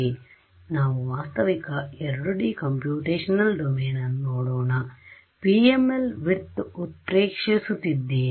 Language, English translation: Kannada, Now let us look at a realistic 2D computational domain, I am exaggerating the PML thickness